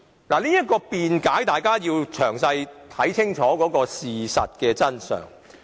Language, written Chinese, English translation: Cantonese, 關於這種辯解，大家必須詳細看清楚事實真相。, With regard to this argument Members must look carefully into the facts of the matter